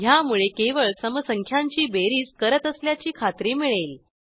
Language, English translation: Marathi, This will ensure that we only add the even numbers